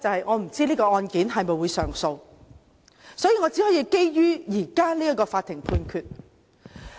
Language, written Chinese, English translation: Cantonese, 我不知道這宗案件會否上訴，所以我只可以基於現時這項法院判決來說。, I do not know if an appeal will be lodged on this case so I can only speak on basis of the current Judgment